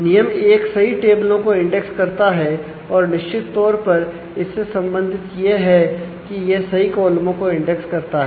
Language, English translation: Hindi, So, rule 1 index the correct tables and certainly related to that is index the correct columns